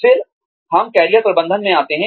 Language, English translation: Hindi, Then, we come to Career Management